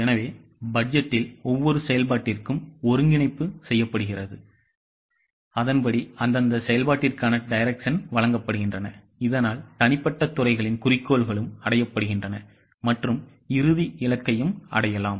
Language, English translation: Tamil, So, in the budgeting exercise, coordination is done for each function and accordingly the directions are given to that respective function so that individual departments goals are also achieved and the final goal is also achieved